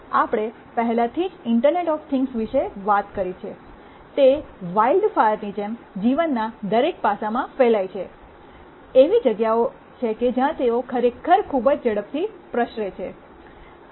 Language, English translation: Gujarati, We have already talked about internet of things, they are spreading like wildfire across every aspect of a life, there are places where they are really spreading very fast